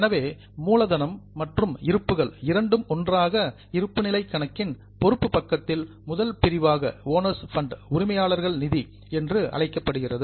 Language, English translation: Tamil, So, capital plus reserves together is the first item in the liability side of the balance sheet that is known as owners fund